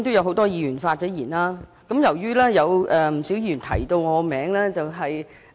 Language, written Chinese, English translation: Cantonese, 很多議員已經發言，不少議員也提到我的名字。, Many Members have already spoken and quite a few of them have mentioned my name